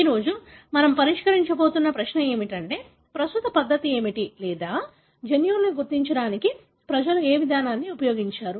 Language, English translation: Telugu, The question that we are going to address today is what is the current method or how people really used what approach they have used to identify the genes